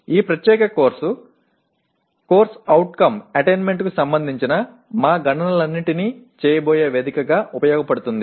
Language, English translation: Telugu, This particular course will serve as the platform within which we are going to do all our computations related to CO attainment